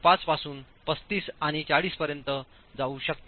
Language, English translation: Marathi, 5 all the way up to 35 and 40